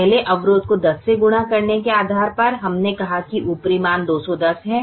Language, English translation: Hindi, based on multiplying the first constraint by ten, we said the upper estimate is two hundred and ten